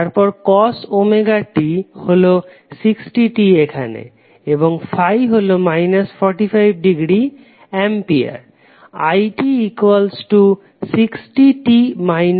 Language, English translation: Bengali, Then cos Omega T is nothing but 60t over here and then Phi is minus 45 degree Ampere